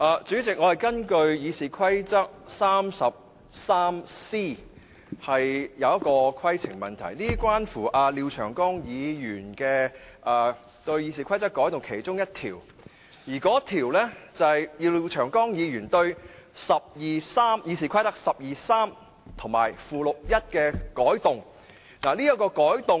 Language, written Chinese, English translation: Cantonese, 主席，我根據《議事規則》第 303c 條提出規程問題，這是廖長江議員擬修訂《議事規則》的其中一項，是要修訂《議事規則》第123條及附表1。, President I wish to raise a point of order under Rule 303c of the Rules of Procedure RoP . This is about one of Mr Martin LIAOs proposed amendments to amend RoP 123 and Schedule 1 to the Rules of Procedure